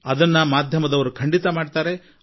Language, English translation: Kannada, Our media persons are sure to do that